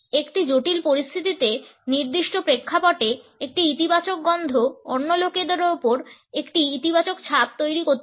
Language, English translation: Bengali, A positive smell in a particular context in a critical situation can create a positive impression on the other people